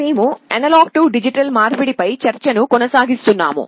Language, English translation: Telugu, We continue with the discussion on Analog to Digital Conversion